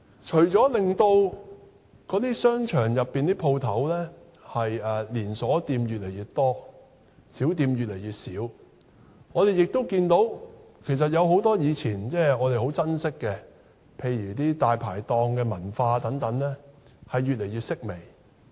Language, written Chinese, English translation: Cantonese, 除了令商場內的連鎖店越來越多，小店越來越少外，我們也看到很多我們以往很珍惜的事物，例如大排檔文化等，越來越式微。, Apart from the fact that an increasing number of chain stores and a decreasing number of small shops can be found in these shopping malls we also find that many of the things that we used to cherish such as the dai pai tong culture are also on the wane